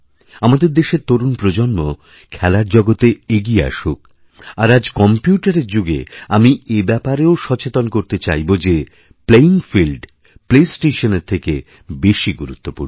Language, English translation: Bengali, The young generation of our country should come forward in the world of sports and in today's computer era I would like to alert you to the fact that the playing field is far more important than the play station